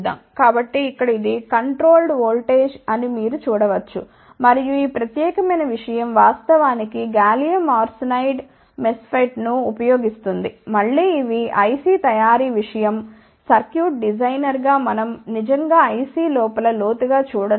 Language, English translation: Telugu, So, here you can see this is the controlled voltage and this particular thing actually uses gallium arsenide MESFET, again these are the IC manufacturing thing, we as a circuit designer are not really getting deep inside the IC